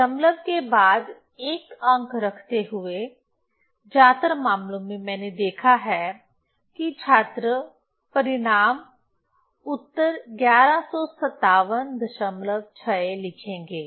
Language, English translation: Hindi, So, in most cases I have seen that student will write the result answer 1157